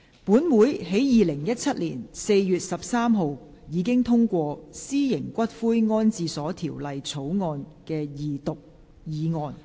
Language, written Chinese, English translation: Cantonese, 本會在2017年4月13日，已通過《私營骨灰安置所條例草案》的二讀議案。, Council already passed the motion on the Second Reading of the Private Columbaria Bill on 13 April 2017